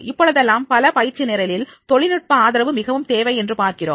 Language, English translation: Tamil, Naturally nowadays in the most of the training programs we see that is the help of support of technology is very much required